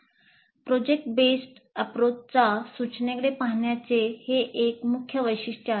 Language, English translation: Marathi, This is the last key feature of the project based approach to instruction